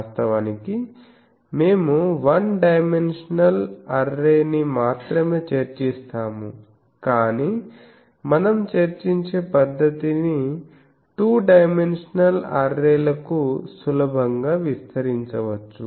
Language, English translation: Telugu, Actually, we will discuss only one dimensional array, but the method that we will discuss can be easily extended to the two dimensional arrays etc